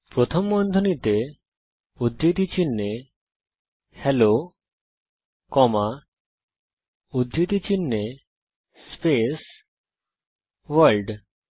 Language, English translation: Bengali, Within parentheses in double quotes Hello comma in double quotes space World